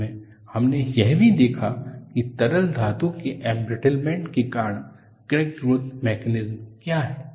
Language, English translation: Hindi, Finally, we also looked at, what is the crack growth mechanism due to liquid metal embrittlement